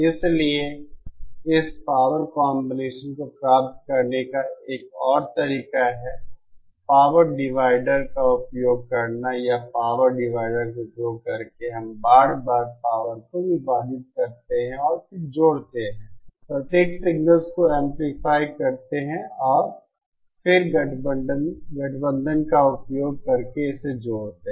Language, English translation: Hindi, So yet another way of achieving this power combining is, using a power divider or repeatedly using power dividers we repeatedly divide the powers and then combine, then amplify the individual signals and then combine it using combine